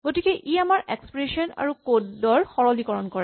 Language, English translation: Assamese, So, this can simplify our expressions and our code